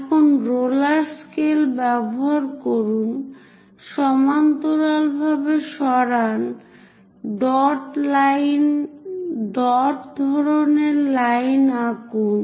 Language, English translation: Bengali, Now use your roller scaler, move parallel, draw dash dot kind of line